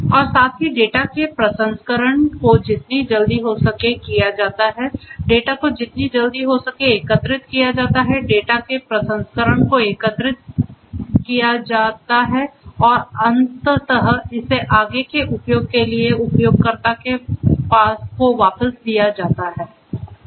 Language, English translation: Hindi, And also correspondingly processing of the data as soon as possible the data are collected as quickly as possible the data are collected processing of the data and eventually feeding it back to the user for further use